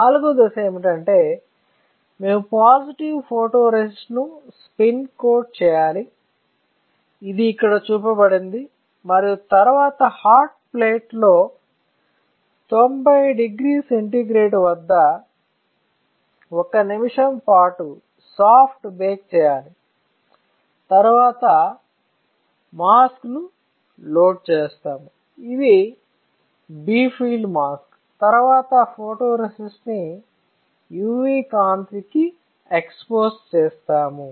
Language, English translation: Telugu, So, the fourth step is that we have to spin coat a positive photoresist, which is shown here and then perform soft bake at 90 degree centigrade 1 minute on the hot plate followed by loading a mask, this is our bright film mask and then exposing the photoresist with UV light